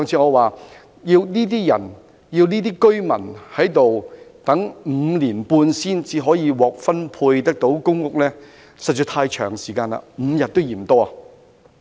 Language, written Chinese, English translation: Cantonese, 我上次說過，要這些居民等待5年半才能獲分配公屋，時間實在太長 ，5 天也嫌多。, These people have to wait for 5.5 years before they can be allocated public housing . I have said the same thing last time―the waiting time is too lengthy even five days are too long